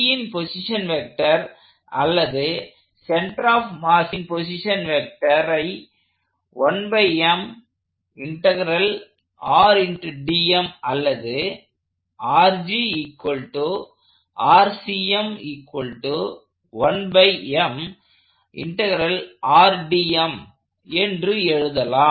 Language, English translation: Tamil, This gives me the position vector of the center of mass or the position vector of G